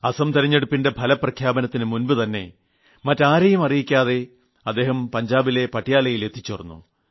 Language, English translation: Malayalam, And I was very happy when I came to know that one day before the Assam election results, he discreetly reached Patiala in Punjab